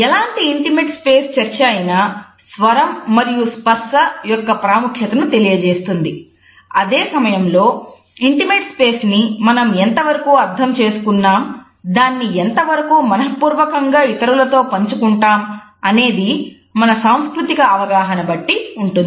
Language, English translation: Telugu, At the same time our understanding of intimate space and to what extent we can willingly share it with others and with whom is also decided by our cultural understanding